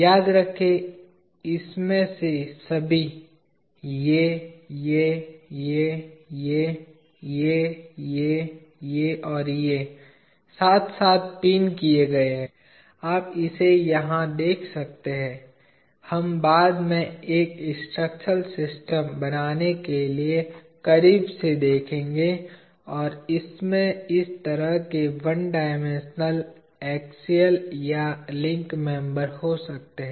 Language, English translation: Hindi, Remember, everyone of this, this one, this one, this one, this one, this one, this one or this one are pinned together, you can see it here, we will have a closer view later, to form a structural system and it consists of one dimensional axial or link members like this